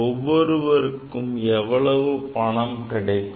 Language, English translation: Tamil, Each people how much will get